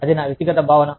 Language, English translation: Telugu, That is my personal feeling